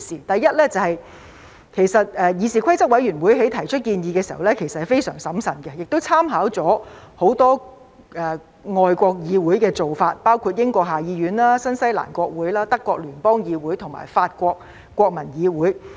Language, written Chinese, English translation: Cantonese, 第一是議事規則委員會在提出建議時是非常審慎的，亦參考了很多外國議會的做法，包括英國下議院、新西蘭國會、德國聯邦議院和法國國民議會。, The first point is that CRoP was very prudent in putting forward the proposals and drew much reference from the practice of many overseas legislatures including the House of Commons of the United Kingdom the New Zealand Parliament the Bundestag of Germany and the National Assembly of France